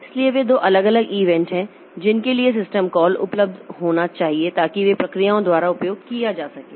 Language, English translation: Hindi, So, they are two different events for which there must be system call available so that they can be utilized by the processes